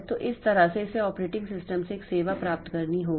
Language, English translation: Hindi, So, that way it has to get a service from the operating system